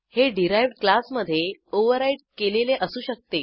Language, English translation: Marathi, It can be overriden in its derived class